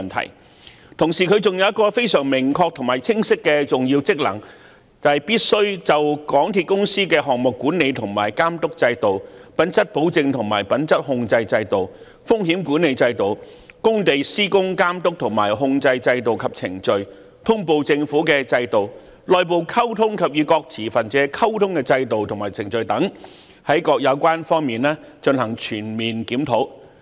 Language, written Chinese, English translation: Cantonese, 同時，調查委員會還有一個非常明確和清晰的重要職能，就是必須就港鐵公司的項目管理和監督制度、品質保證和品質控制制度、風險管理制度、工地施工監督和控制制度及程序、通報政府的制度、內部溝通及與各持份者溝通的制度和程序等，在各有關方面進行全面檢討。, At the same time another very precise clear and important function of the Commission of Inquiry is to comprehensively review the relevant aspects of MTRCLs project management and supervision system quality assurance and quality control system risk management system site supervision and control system and processes system on reporting to the Government system and processes for communication internally and with various stakeholders etc